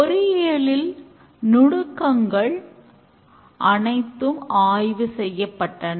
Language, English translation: Tamil, In engineering, the techniques are all investigated